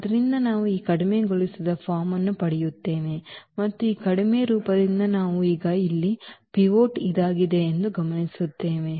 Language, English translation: Kannada, So, we will get this reduced form, and from this reduced form we will now observe that this is the pivot here this is also the pivot